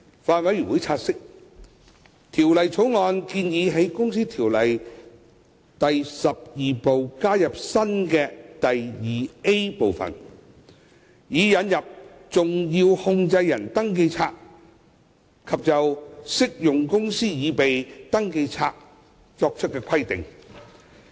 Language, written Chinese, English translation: Cantonese, 法案委員會察悉，《條例草案》建議在《公司條例》第12部加入新的第 2A 分部，以引入登記冊及就適用公司擬備登記冊作出規定。, The Bills Committee notes that the Bill proposes to add a new Division 2A to Part 12 of the Ordinance to introduce a SCR and impose various requirements relating to SCR on an applicable company